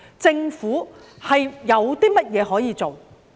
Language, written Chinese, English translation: Cantonese, 政府有甚麼可以做？, What can the Government do?